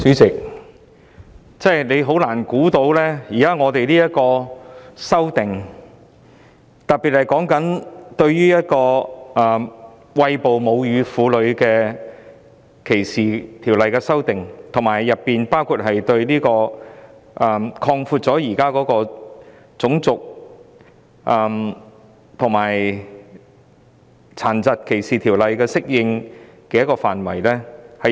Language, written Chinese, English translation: Cantonese, 主席，真的很難想象我們要等多久，當局才提出《2018年歧視法例條例草案》，就歧視餵哺母乳作出修訂，以及擴闊《種族歧視條例》和《殘疾歧視條例》的適用範圍。, President it is very hard to imagine how long we had waited before the authorities proposed the Discrimination Legislation Bill 2018 the Bill to make amendments in respect of breastfeeding discrimination and to expand the application of the Race Discrimination Ordinance and the Disability Discrimination Ordinance